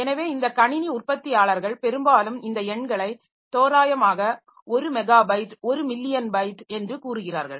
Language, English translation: Tamil, So, these computer manufacturers often round of these numbers and say that one megabyte is one million bytes, one gigabyte is one billion bytes, etc